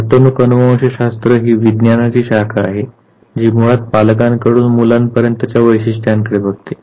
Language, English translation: Marathi, Behavioral genetics is that branch of science which basically looks at the passage of traits from the parents to children